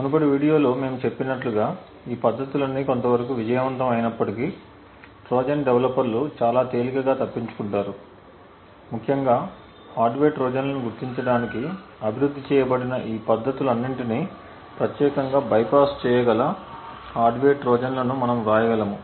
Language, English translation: Telugu, Now as we mentioned in the previous video all of these techniques though successful to a certain extent are very easily evaded by Trojan developers essentially we could write hardware Trojans that specifically could bypass all of these techniques that have been developed to detect hardware Trojans